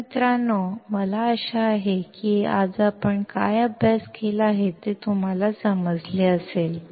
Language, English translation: Marathi, So, guys I hope that you understand what we have studied today